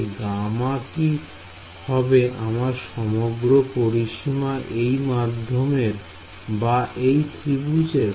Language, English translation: Bengali, So, should gamma be the overall boundary of this medium or the boundary of the triangle